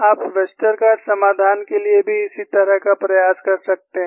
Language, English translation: Hindi, You can do a similar exercise for Westergaard solution also